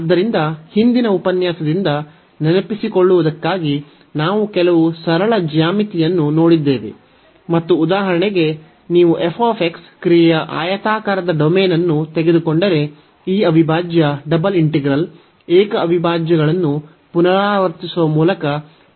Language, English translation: Kannada, So, just to recall from the previous lecture, we have gone through some simple geometry and for example, if you take the rectangular domain of the function f x then this integral the double integral, we can evaluate by repeating the single integrals 2 time